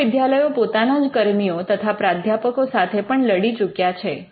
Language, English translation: Gujarati, But universities are also fought with their own employees and professors